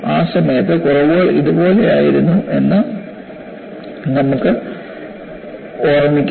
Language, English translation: Malayalam, At that time you could recall, indeed, the flaws were like this